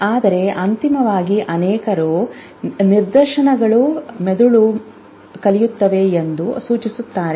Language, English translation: Kannada, But ultimately with many such instances brain will learn